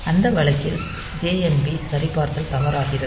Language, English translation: Tamil, So, in that case this JNB check will be false